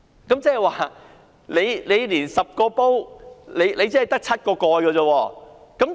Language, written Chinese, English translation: Cantonese, 換言之，現時是 "10 個煲卻只得7個蓋"。, In other words there are only 7 lids to cover 10 pots